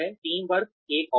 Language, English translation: Hindi, Teamwork is another one